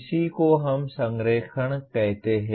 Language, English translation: Hindi, That is what we mean by alignment